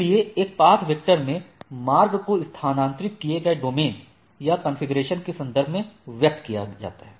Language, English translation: Hindi, So, in a path vector, the path is expressed in terms of domains or configurations transferred